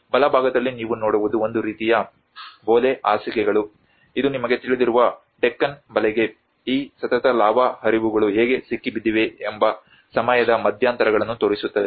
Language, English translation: Kannada, On the right hand side what you see is a kind of Bole beds which is actually look at the time intervals of how these successive lava flows have been trapped in the Deccan Trap you know